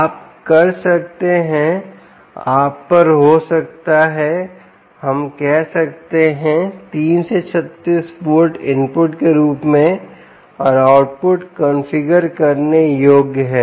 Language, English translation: Hindi, you can have, let us say, ah, three to thirty six volts as an input, ok, and output is also configurable